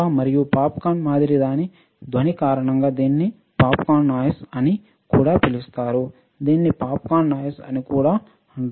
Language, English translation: Telugu, And because of its sound similar to popcorn popping, it is also called popcorn noise; it is also called popcorn noise